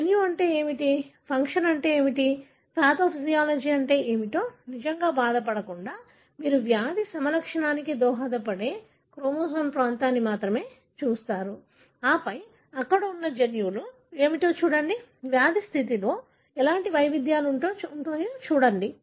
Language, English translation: Telugu, Without really bothering about what is a gene, what is the function, what is the pathophysiology, you only look at a region of chromosome that is likely to be contributing to the disease phenotype and then look at what are the genes that are there and then look at what variations there results in the disease condition